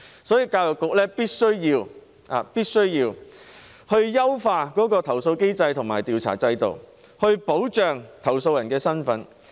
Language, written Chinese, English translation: Cantonese, 所以，教育局必須優化投訴機制和調查制度，保護投訴人的身份。, For this reason the Education Bureau must improve the complaint mechanism and investigation regime so as to protect the identity of the complainant